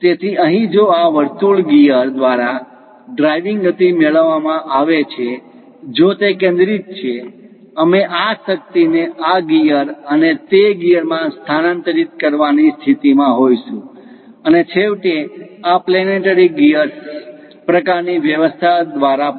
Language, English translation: Gujarati, So, here if the driving motion is done by this circular gear if it is centred that; we will be in a position to transfer this power to this gear and that gear and finally through this planetary gear kind of arrangement also